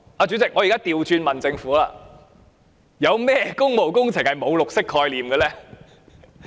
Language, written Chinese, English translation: Cantonese, 主席，我現在倒過來問政府：有甚麼工務工程是沒有綠色概念的呢？, President now let me ask the Government these questions the other way round What public works do not carry a green concept?